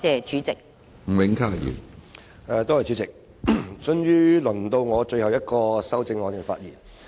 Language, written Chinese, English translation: Cantonese, 主席，終於到我就最後一項修正案發言。, President it is finally my turn to speak on the last amendment